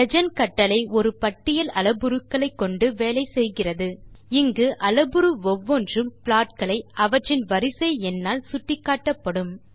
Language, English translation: Tamil, The legend command takes a single list of parameters where each parameter is the text indicating the plots in the order of their serial number